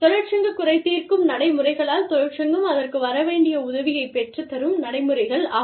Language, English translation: Tamil, Union grievance procedures, are procedures, that are, you know, that help the union, get its due